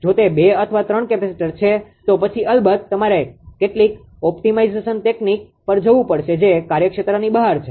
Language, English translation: Gujarati, If it is 2 or 3 capacitors then of course, you have to go for some optimization technique that is the beyond the scope, right